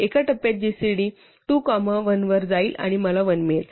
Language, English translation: Marathi, In one step I will go to gcd 2 comma 1 and I will get 1